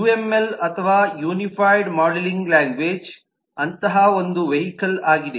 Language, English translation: Kannada, uml, or unified modelling language, is such a vehicle